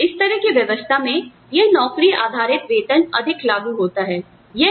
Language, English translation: Hindi, So, in this kind of a set up, this job based pay is more applicable